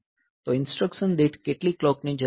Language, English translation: Gujarati, So, how many clocks are needed per instructions